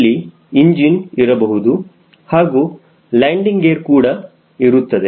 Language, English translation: Kannada, there could be engine and, of course, we will have landing gear